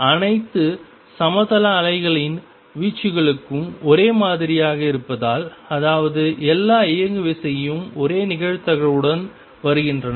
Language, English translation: Tamil, Since the amplitudes of all plane waves are the same; that means, all momentum come with the same probability